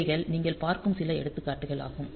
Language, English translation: Tamil, So, these are some of the examples that you see